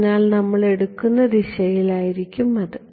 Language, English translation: Malayalam, So, that is going to be the direction that we will take at ok